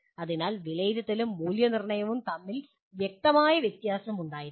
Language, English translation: Malayalam, So there should be a clear difference between assessment and evaluation